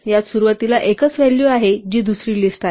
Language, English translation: Marathi, This contains a single value at the beginning which is another list